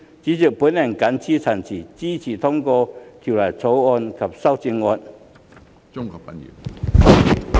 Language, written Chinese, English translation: Cantonese, 主席，我謹此陳辭，支持通過《條例草案》及修正案。, With these remarks President I support the passage of the Bill and the amendments